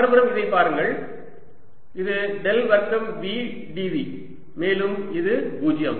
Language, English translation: Tamil, on the other hand, look at this: this: this is del square v d v and this is zero